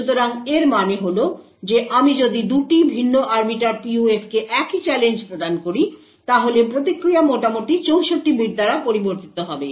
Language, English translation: Bengali, So this means that if I provide the same challenge to 2 different Arbiter PUFs, the response would vary by roughly 64 bits